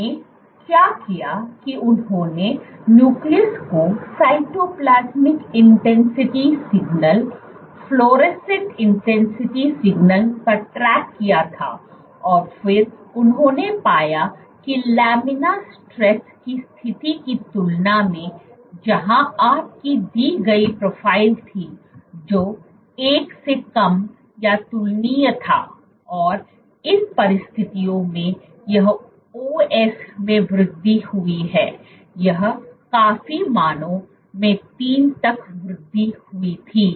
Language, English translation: Hindi, What they did was they tracked the Nucleus to Cytoplasmic intensity signal, fluorescent intensity signal And then they found was compared to laminar stress conditions, where you had a given profile, which was lesser than a comparable to 1 under these conditions this increased in OS this was significantly increased to values 3